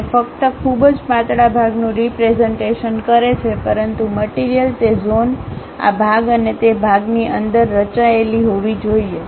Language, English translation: Gujarati, It just represents very thin portion, but material has to be shown by hatched within that zone, this part and that part